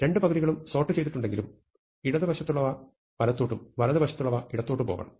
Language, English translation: Malayalam, So, though each of the two half is sorted, there are elements in left which must go to right and there are elements from right which must go to the left